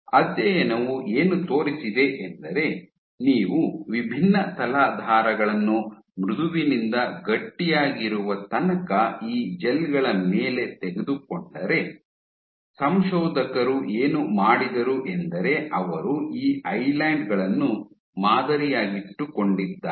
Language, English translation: Kannada, What the study demonstrated was if you took different substrates from soft to stiff all the way to stiff and you on these gels what the authors did was, they pattern these Islands